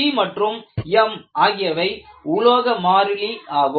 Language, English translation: Tamil, And what you have as c and m are material constants